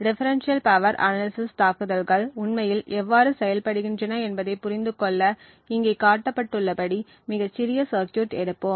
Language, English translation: Tamil, To understand how differential power analysis attacks actually work, we will take a very small circuit as shown over here